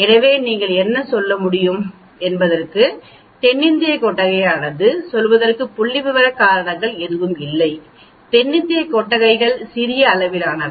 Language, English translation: Tamil, So what you can say is the South Indian barnacle, there is no statistical reason for saying, the South Indian barnacles are of smaller size